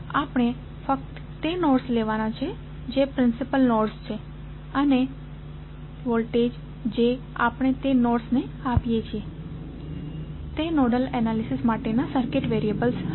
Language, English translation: Gujarati, We have to only take those nodes which are principal nodes into consideration and the voltages which we assign to those nodes would be the circuit variables for nodal analysis